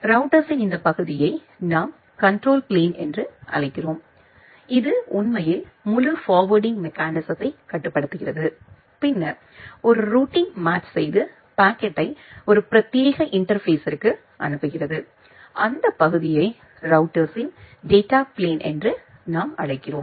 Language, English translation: Tamil, This part of the router we call it as a control plane of the router which actually controls the entire forwarding mechanism and then do a routing match and forward the packet to a dedicated interface that part we call as the data plane part of the router